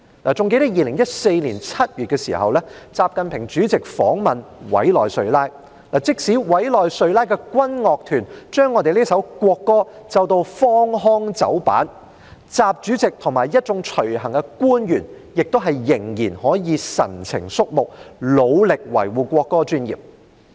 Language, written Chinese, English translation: Cantonese, 還記得2014年7月習近平主席訪問委內瑞拉，即使委內瑞拉的軍樂團將我們的國歌奏得荒腔走板，習主席和一眾隨行官員仍然可以神情肅穆，努力地維護國歌尊嚴。, I recall that in July 2014 when President XI Jinping visited Venezuela even though the Venezuelan military band played an out - of - tune rendition of our national anthem President XI and the officials accompanying him still remained dignified and solemn in an effort to preserve the dignity of the national anthem